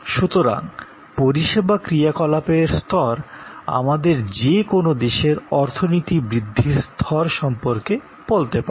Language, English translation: Bengali, So, in a way the level of service activity can tell us about the level of economy growth in a particular country